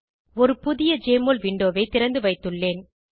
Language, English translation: Tamil, Here I have opened a new Jmol window